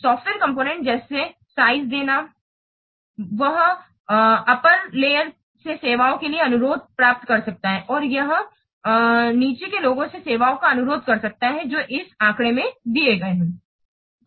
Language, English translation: Hindi, The software component which has to be sized, it can receive request for services from layers above and it can request services from those below it